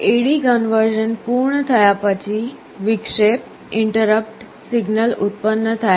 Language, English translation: Gujarati, After A/D conversion is completed an interrupt signal is generated